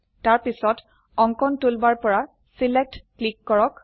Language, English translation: Assamese, Then, from the Drawing toolbar click Select